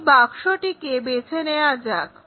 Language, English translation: Bengali, Let us pick this box